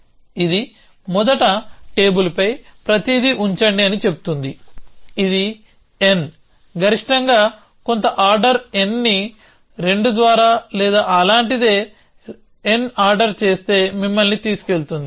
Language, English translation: Telugu, It says first put everything on the table, which will take you if the n blocks at most some order n by 2 or something like that or order n